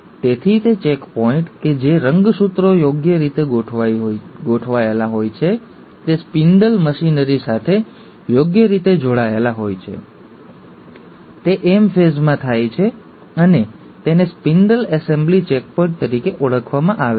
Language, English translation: Gujarati, So, that checkpoint that the chromosomes are appropriately aligned, they are appropriately connected to the spindle machinery, happens at the M phase and it is called as the spindle assembly checkpoint